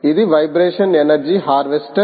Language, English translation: Telugu, this is the vibration energy harvester